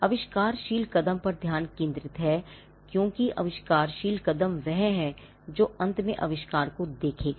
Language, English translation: Hindi, The focus is on the inventive step, because the inventive step is what will see the invention through at the end of the day